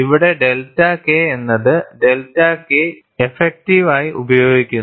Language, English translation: Malayalam, Here, the delta K term is put as delta K effective